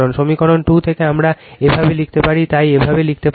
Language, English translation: Bengali, From equation 2 we can write like this